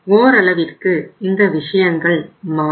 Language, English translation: Tamil, So the things will change to some extent